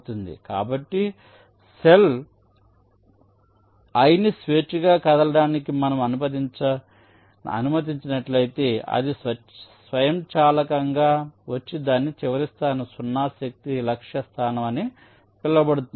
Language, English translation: Telugu, so if we allow the cell i to move freely, it will automatically come and rest in its final so called zero force target location